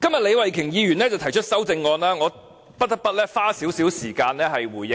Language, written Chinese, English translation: Cantonese, 李慧琼議員今天提出修正案，真的很離奇，我不得不花點時間回應。, Ms Starry LEEs amendment today sounds really strange and I cannot help but spend some time responding to it